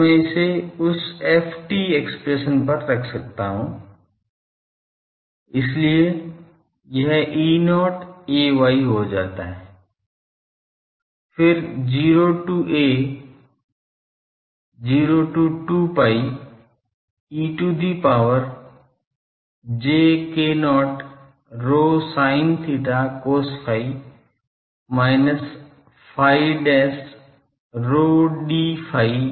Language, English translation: Hindi, So, I can put it on that f t expression so, it becomes E not ay, then 0 to a, 0 to 2 pi e to the power j k not rho sin theta cos phi minus phi dash rho d phi dash d rho ok